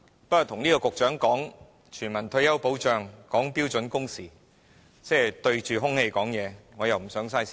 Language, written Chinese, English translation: Cantonese, 不過，跟這個局長談全民退休保障和標準工時，即是對着空氣說話，我又不想浪費時間。, However talking to this Secretary on universal retirement protection and standard working hours means talking to air―I do not want to waste time